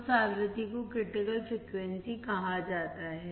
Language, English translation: Hindi, That frequency is called critical frequency fc